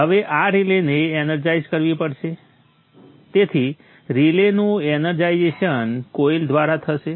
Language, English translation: Gujarati, So, energization of the relay will be by means of a coil